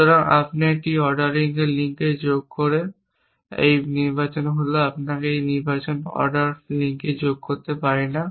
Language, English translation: Bengali, So, once you have added an ordering link is this selection we cannot add on ordering link in this selection